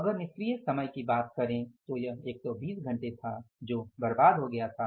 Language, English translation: Hindi, If you talk about the idle time, this was 120 hours which has been wasted so you have to subtract it